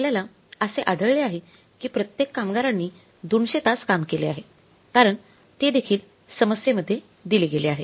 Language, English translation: Marathi, So we have found out that every worker has worked for 200 hours because it is given in the problem also